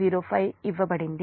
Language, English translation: Telugu, that is given